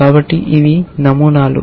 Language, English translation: Telugu, So, these are the patterns